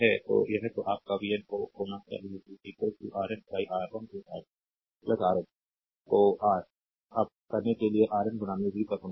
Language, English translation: Hindi, So, it will be your vn should be is equal to Rn upon R 1 plus R 2 plus Rn at the your up to RN into v